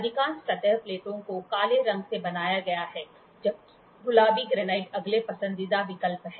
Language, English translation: Hindi, Most surface plates are made out of black, while pink granite is the next preferred choice